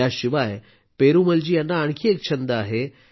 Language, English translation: Marathi, Apart from this, Perumal Ji also has another passion